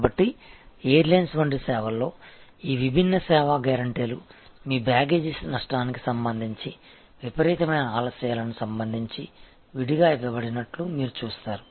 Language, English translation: Telugu, So, in a service like airlines, you will see that all these different service guarantees are given separately with respect to your baggage loss ,with respect to in ordinate delays